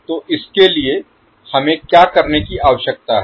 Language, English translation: Hindi, So for that, what we need to do